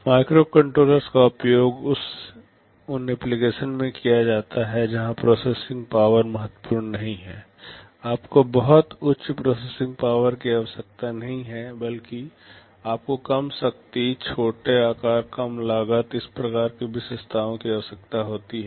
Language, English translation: Hindi, Microcontrollers are used in applications where processing power is not critical, you do not need very high processing power rather you need low power, small size, low cost, these kinds of attributes